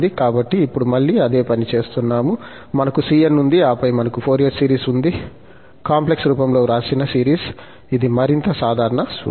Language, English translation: Telugu, So, the same thing now, we have the cn, this is more the general formula and then we have the Fourier series written in this complex form